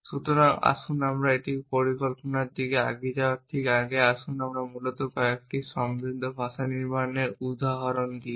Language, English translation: Bengali, So, just before you move on to the planning of it us let me illustrate a couple of riches language construct essentially